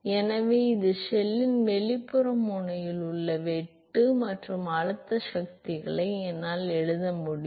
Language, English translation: Tamil, So, that is the shear at the outer end of the shell plus I can write the pressure forces